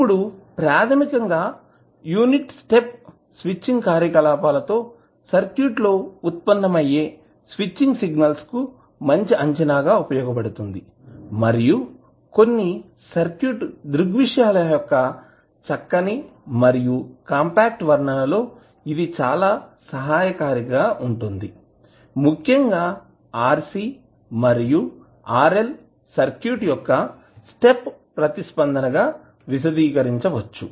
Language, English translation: Telugu, Now, these basically the unit step serves as a good approximation to the switching signals that arise in the circuit with the switching operations and it is very helpful in the neat and compact description of some circuit phenomena especially the step response of rc and rl circuit